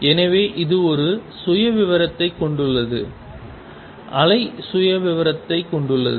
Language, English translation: Tamil, So, it has a profile the wave has the profile